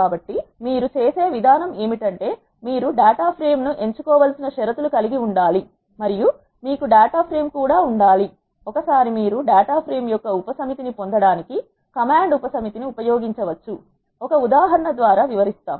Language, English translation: Telugu, So, the way you do is you should have the conditions based on which you have to select the data frame and you should also have a data frame, once you have you can use the command subset to get the subset of data frame